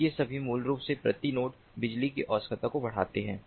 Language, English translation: Hindi, so all these basically increase the power requirements per node